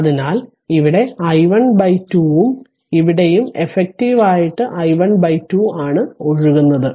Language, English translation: Malayalam, So, that means, here also flowing i 1 by 2 here also effectively flowing i 1 by 2